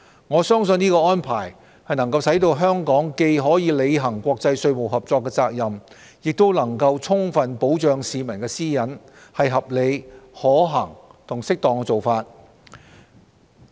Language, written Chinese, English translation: Cantonese, 我相信這規定能使香港既可履行國際稅務合作責任，又能充分保障市民私隱，是合理、可行和適當的做法。, I believe such a requirement enables Hong Kong to discharge its responsibility of international tax cooperation while afford full protection of peoples privacy . It is a reasonable feasible and appropriate approach